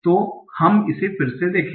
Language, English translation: Hindi, So let us again look at it